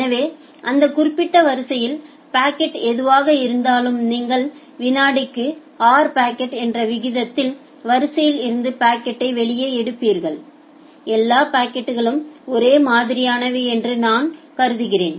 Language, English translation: Tamil, So that means, whatever be the packet in that particular queue, then you will take packet out of the queue at a rate of r packets per second, say I am assuming that all packets are same